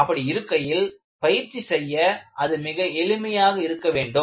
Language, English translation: Tamil, And so, it should be simple enough to practice